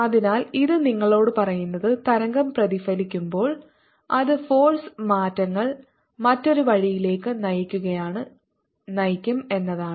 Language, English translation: Malayalam, so what it tells you is that when the wave is getting reflected, its phase changes is going to point the other way